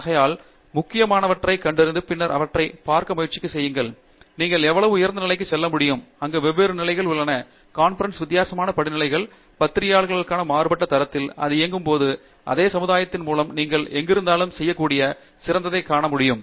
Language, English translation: Tamil, So, you have to identify those which are critical and then try to see, how high you can go and there are different levels there I mean it is there a different gradations for conference, at different gradation for the journals, even when it is run by the same society and it is ok, to identify the best you can do and then be wherever you are